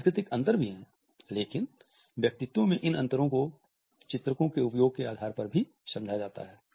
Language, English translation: Hindi, The cultural differences are also there, but these differences in the personalities are also understood on the basis of the use of illustrators